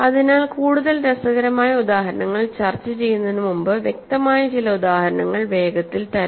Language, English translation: Malayalam, So, now let me quickly give you some obvious examples before we discuss more interesting examples